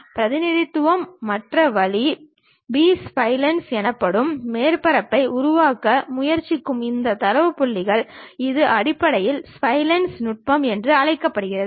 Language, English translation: Tamil, ah The other way of representation, these data points trying to construct surfaces called B splines, which is also called as basis splines technique